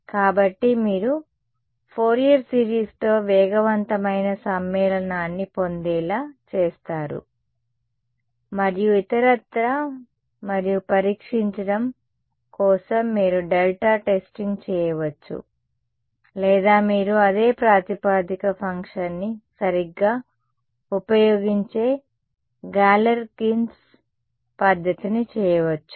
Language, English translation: Telugu, So, you make get faster convergence with Fourier series and so on, and for testing, testing its you could do delta testing or you could do Galerkins method where you use the same basis function right